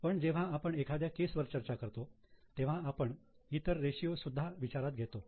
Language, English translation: Marathi, But when we come to solving a case, we will consider other ratios as well